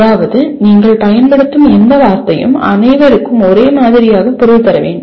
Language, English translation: Tamil, That means any word that you use it means the same for all